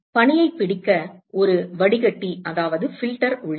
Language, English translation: Tamil, So, there is a filter which is available to capture snow